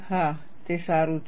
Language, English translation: Gujarati, Yes, that is good